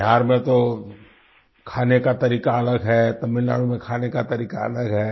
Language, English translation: Hindi, In Bihar food habits are different from the way they are in Tamilnadu